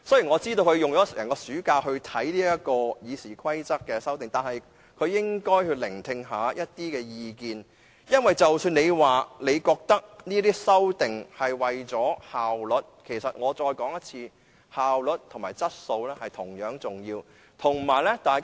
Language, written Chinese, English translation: Cantonese, 我知道他花了整個暑假閱讀《議事規則》的修訂建議，但他應該聆聽意見，因為即使他認為作出這些修訂是為了提升效率，其實——我再說一次——效率和質素同樣重要。, I know he spent the entire summer break reading the proposed amendments to RoP but he should listen to other views because notwithstanding his view that such amendments are conducive to enhancement of efficiency―I repeat―efficiency and quality are equally important